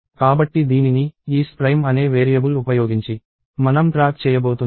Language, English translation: Telugu, So this, we are going to track by using a variable called prime